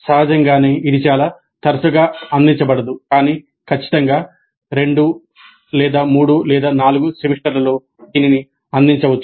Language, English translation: Telugu, Obviously this cannot be offered too often but certainly in 2 3 4 semesters this can be offered